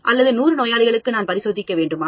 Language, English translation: Tamil, Or should I test on 100 patients